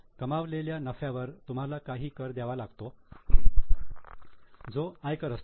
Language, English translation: Marathi, On the profit earned you have to pay some tax that is an income tax